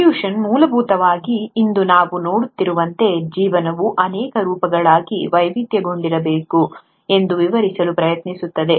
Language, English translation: Kannada, Evolution essentially tries to explain, how life must have diversified into multiple forms as we see them today